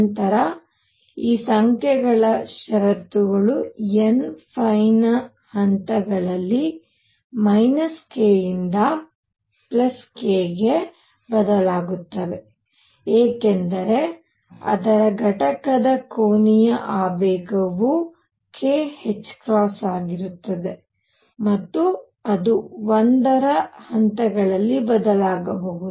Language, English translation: Kannada, Then the conditions on these numbers were that n phi varied from minus k to k in steps of 1, because the angular momentum of its component was k times h cross and it could vary in steps of 1